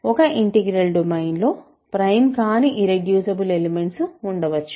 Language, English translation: Telugu, In an integral domain irreducible elements can be there that are not prime